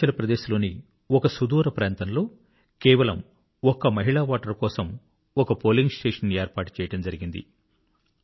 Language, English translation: Telugu, In a remote area of Arunachal Pradesh, just for a lone woman voter, a polling station was created